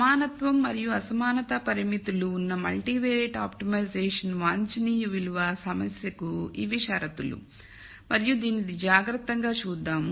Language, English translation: Telugu, These are the conditions for multivariate optimization problem with both equality and inequality constraints to be at it is optimum value and let us look at this carefully